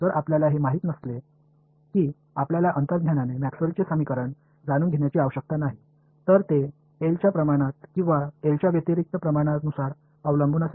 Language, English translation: Marathi, If you did not know you do not need to know Maxwell’s equations intuitively, should it depend proportional to be proportional to L or inversely proportional to L